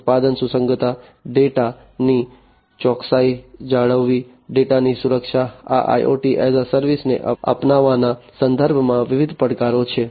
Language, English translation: Gujarati, Product compatibility, maintaining data accuracy, security of data, you know, these are different challenges with respect to the adoption of IoT as a service